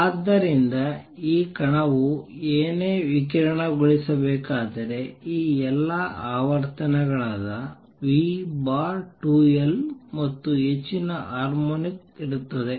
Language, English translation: Kannada, So, if this particle what to radiate it will contain all these frequencies v over 2L and higher harmonics